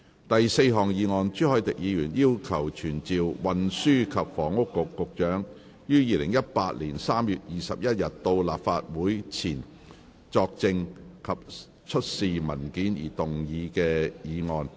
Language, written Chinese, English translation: Cantonese, 第四項議案：朱凱廸議員要求傳召運輸及房屋局局長於2018年3月21日到立法會席前作證及出示文件而動議的議案。, Fourth motion Motion to be moved by Mr CHU Hoi - dick to summon the Secretary for Transport and Housing to attend before the Council on 21 March 2018 to testify and produce documents